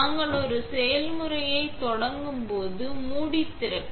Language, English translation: Tamil, When we are starting a process, open the lid